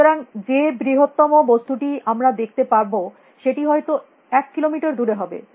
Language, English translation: Bengali, So, the largest thing we can see is may be about a kilometer across